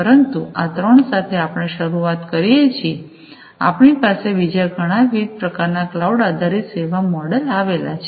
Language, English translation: Gujarati, So, primarily these are the three different types of service models, cloud based service models